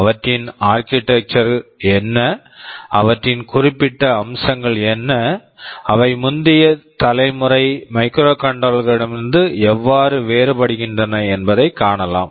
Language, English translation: Tamil, What are their architecture like, what are their specific features, like and how are they different from the earlier generation of microcontrollers ok